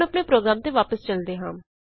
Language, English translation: Punjabi, Now we will move back to our program